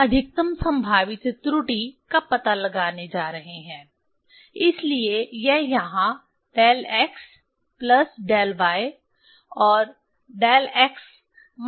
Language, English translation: Hindi, We are going to find out the maximum probable error, so this here del x plus del y and del x minus del y